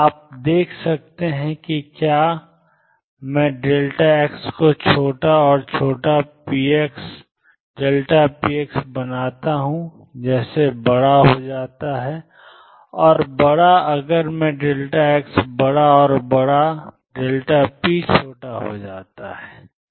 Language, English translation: Hindi, You can see if I make delta x smaller and smaller delta p as becomes larger, and larger if I make delta x larger and larger delta p x becomes smaller and smaller smaller